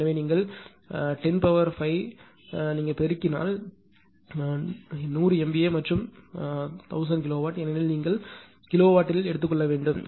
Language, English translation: Tamil, So, that you multiply by 10 to the power 5 because 100 MBV base and 1000 right in terms of kilowatt because you want at kilowatt